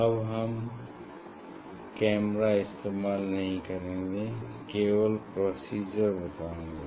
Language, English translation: Hindi, that time I will not use camera just I will show the procedure